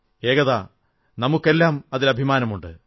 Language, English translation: Malayalam, ' Ekta, we all are proud of you